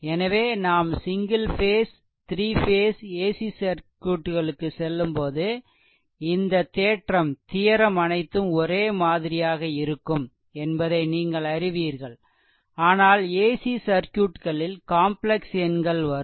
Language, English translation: Tamil, So, while we go for single phase as well as three phase ac circuits, at that time this you know this theorem all will remain same, but as AC a AC circuits complex number will be involved